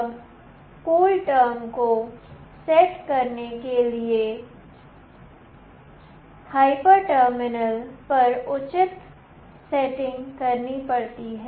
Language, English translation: Hindi, Now, for setting the CoolTerm, proper settings have to be made on the hyper terminal software